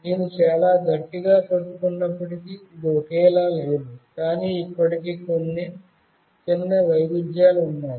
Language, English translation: Telugu, It is not the same although I have held it very tightly, but still there are some small variations